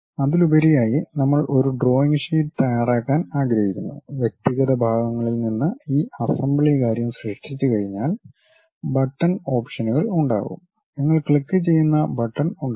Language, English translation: Malayalam, And over that, we want to prepare a drawing sheet, there will be buttons options once you create this assembly thing from individual parts, there will be buttons which you click it